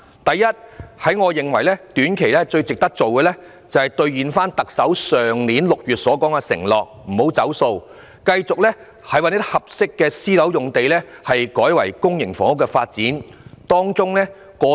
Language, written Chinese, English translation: Cantonese, 第一，我認為短期最值得做的，就是兌現特首去年6月作出的承諾，繼續把合適的私樓用地改為發展公營房屋。, First in the short term I think it is most important to deliver the pledge made by the Chief Executive in June last year ie . continue to re - allocate private housing sites for public housing development